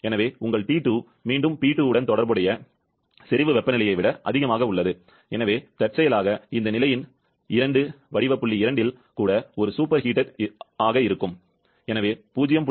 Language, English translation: Tamil, 21 degree Celsius, so your T2, it is again greater than the saturation temperature corresponding to P2, so incidentally this phase 2 is also, a state point 2 is also a superheated one, so 0